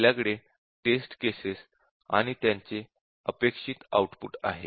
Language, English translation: Marathi, So, we will have the test cases and their expected outputs